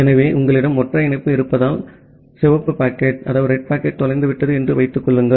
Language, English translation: Tamil, So, because you have a single connection, say assume red packet got lost